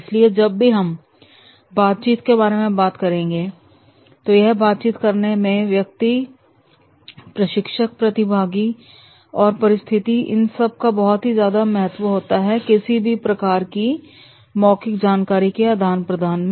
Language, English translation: Hindi, So whenever we talk about the interacting, so in interacting it is the person, the trainer, the trainee and a given situation that will play a very important role whenever there is an exchange of verbal information